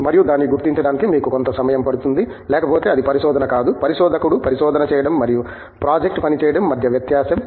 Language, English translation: Telugu, And, it takes a while you know to figure out it, so otherwise it would not be research that is the difference between a researcher doing research and doing project work